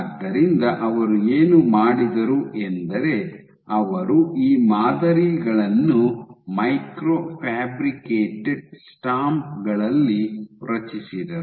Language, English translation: Kannada, So, they created these patterns is micro fabricated stamps